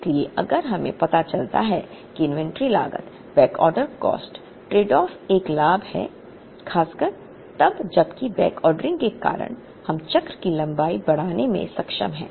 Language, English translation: Hindi, So, if we find out that the inventory cost, backorder cost tradeoff is a gain, particularly when because of the backordering we are able to increase the length of the cycle